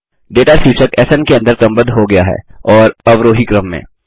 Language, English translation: Hindi, The data is sorted under the heading SN and in the descending order